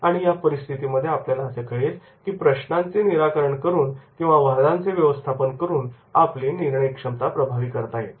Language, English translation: Marathi, And in this case we will find that is the decision making process can be effective by problem solving and managing the conflict